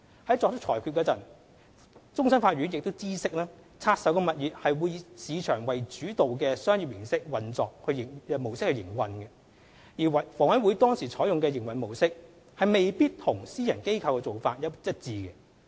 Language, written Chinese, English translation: Cantonese, 在作出裁決前，終審法院已知悉拆售物業會以市場主導的商業運作模式營運，而房委會當時採用的營運模式，未必與私人機構的做法一致。, In reaching its conclusions CFA noted that a market - oriented commercial approach would be adopted in operating the divested properties whereas HAs approach at that time might not be in line with private sector practice